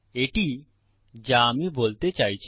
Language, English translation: Bengali, This is what I mean